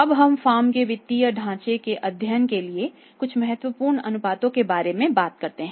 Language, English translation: Hindi, Now we talk about the some important ratios for the first aid in the financial structure of the firm